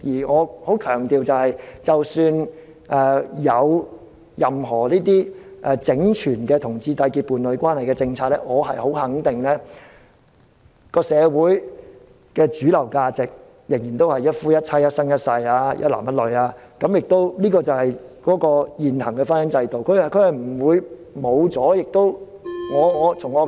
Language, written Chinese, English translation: Cantonese, 我強調即使有任何整全的讓同志締結伴侶關係的政策，我十分肯定社會上的主流價值仍然是一夫一妻、一男一女，這就是現行的婚姻制度，不會消失。, I wish to emphasize that even if a holistic set of policies is formulated to allow homosexual couples to enter into domestic partnership I am sure that the mainstream values in our society will adhere to the monogamous marriage between a man and a woman . This is the existing marriage institution and it will not disappear